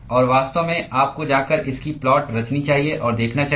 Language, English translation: Hindi, And in fact, you should go and plot this and see